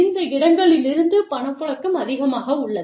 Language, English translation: Tamil, And, there is a lot of, the cash flow is higher, from these places